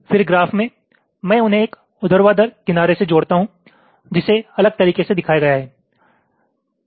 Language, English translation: Hindi, then in the graph i connect them by a vertical edge which is showed differently